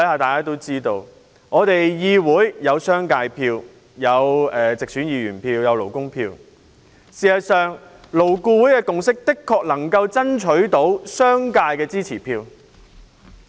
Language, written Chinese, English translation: Cantonese, 大家都知道，議會有商界票、直選議員票及勞工票，而勞顧會的共識能夠爭取到商界的支持票。, As we all know in the Legislative Council there are votes from Members of the business sector Members returned from direct elections and Members of the labour sector . The consensus reached by LAB has the support of the business sector